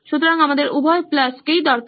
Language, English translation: Bengali, So we need both the pluses alone